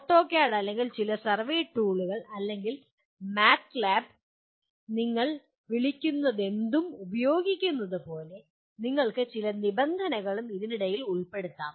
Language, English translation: Malayalam, Like using the AutoCAD or some survey tool or MATLAB whatever you call it, you can also put some conditions under that